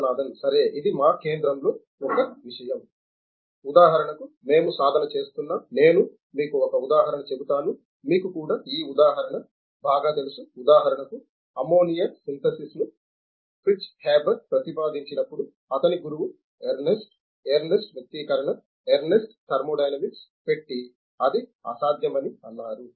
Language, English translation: Telugu, Okay this is one thing that in our center, that we are practicing for example for example I will tell you one example then you will and also this example is well known for example, when ammonia synthesis was proposed by Fritz Haber, his boss Ernest, Ernest equation, Ernest put thermodynamics and said it is impossible